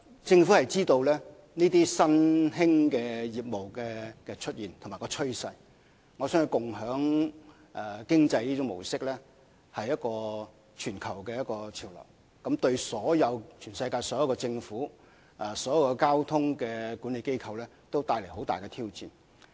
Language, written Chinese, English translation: Cantonese, 政府知悉這些新興業務的出現和趨勢，而共享經濟的模式是全球潮流，相信對全世界所有政府、交通管理機構都帶來了重大挑戰。, The Government is aware of the emergence and trends of such emergent businesses . It believes that the sharing economy is a global trend that will pose big challenges to all governments and traffic management institutions in the world